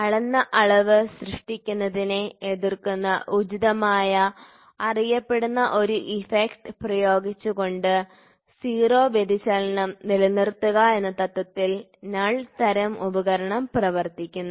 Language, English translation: Malayalam, So, you can also have a null type device working on the principle of maintaining a 0 deflection by applying an appropriate known effect that opposes the one generated by the measured quantity